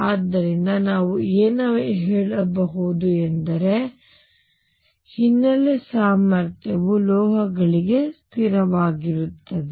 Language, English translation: Kannada, So, what we can say is that the background potential is nearly a constant for the metals